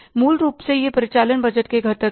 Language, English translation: Hindi, Basically these are the components of operating budget